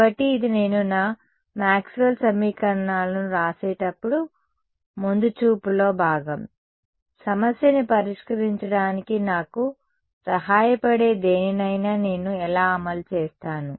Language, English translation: Telugu, So, this is the part of sort of looking ahead when I write down my Maxwell’s equations, how will I enforce anything what will help me to solve the problem